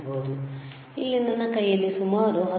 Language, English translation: Kannada, Here is about 19